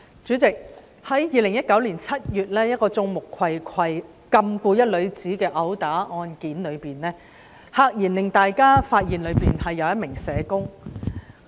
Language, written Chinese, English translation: Cantonese, 主席，在2019年7月一宗毆打案件中，有人在眾目睽睽下禁錮一名女子，大家駭然發現當中涉及一名社工。, President in an assault case in July 2019 a woman was detained in full view of the public and it was a shock to find out that a social worker was involved